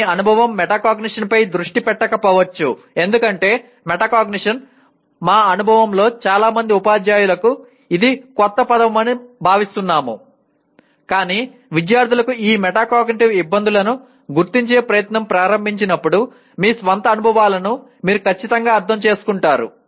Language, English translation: Telugu, One your experience may not be focused on metacognition because metacognition our experience shows that it is a new word to majority of the teachers but the implication you will certainly understand when you start attempting to identify your own experiences where students had this metacognitive difficulties